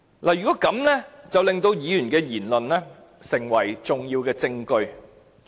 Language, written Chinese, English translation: Cantonese, 這樣便會令議員的言論成為重要證據。, By doing so the matters said by the Member will become a key evidence